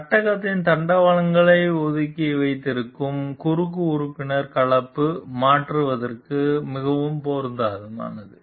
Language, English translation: Tamil, The cross member that holds the rails of the frame apart was ideally suited for composite replacement